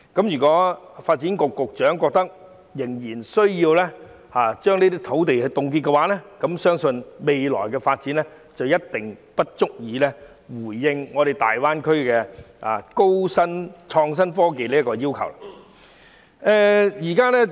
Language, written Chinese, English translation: Cantonese, 如果發展局局長認為仍然需要凍結這些土地，相信未來的發展一定不足以應付大灣區的創新科技要求。, If the Secretary for Development insists that the land shall remain frozen I believe our future development will definitely fall short of GBAs demand for innovation and technology IT